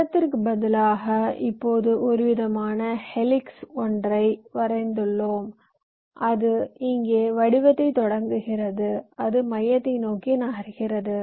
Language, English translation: Tamil, now you see, instead of circle we have drawn some kind of a helix which starts form here and it moves down towards the center